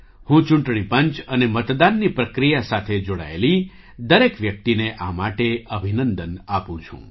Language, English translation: Gujarati, For this, I congratulate the Election Commission and everyone involved in the voting process